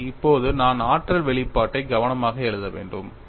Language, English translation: Tamil, So, now, we have the expression for energy